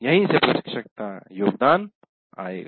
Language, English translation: Hindi, So this is where the contribution of the instructor will come